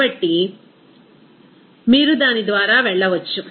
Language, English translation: Telugu, So, you can go through that